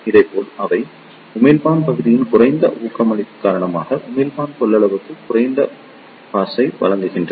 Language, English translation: Tamil, Similarly, they provide low bass to emitter capacitance to to the lower doping of the emitter region